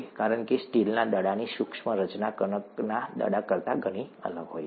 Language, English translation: Gujarati, Because the microscopic structure of the steel ball is very different from that of the dough ball